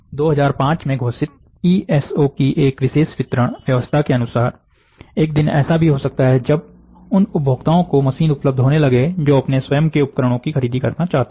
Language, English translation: Hindi, An exclusive distribution arrangement of ESO announced in 2005, may one day lead to machines becoming available to consumers, who wish to purchase their own equipments